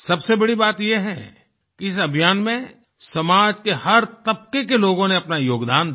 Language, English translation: Hindi, And the best part is that in this campaign, people from all strata of society contributed wholeheartedly